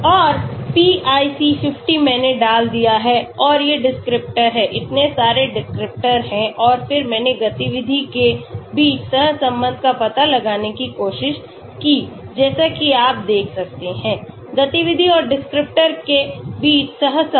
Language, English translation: Hindi, And pIC50 I have put and these are the descriptors, so many descriptors and then I tried to find out the correlation between activity as you can see, correlation between activity and the descriptor